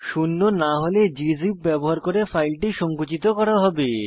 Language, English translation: Bengali, If not zero, the file will be compressed using gzip